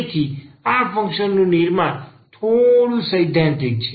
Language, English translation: Gujarati, So, this is a little theoretical now